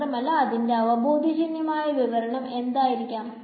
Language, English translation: Malayalam, And what is the intuitive explanation for this